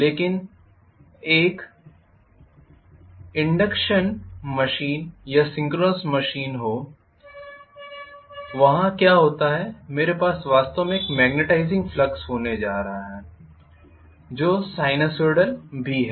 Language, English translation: Hindi, Be it an induction machine or synchronous machine there what happens is I am going to have actually a magnetising flux which is also sinusoidal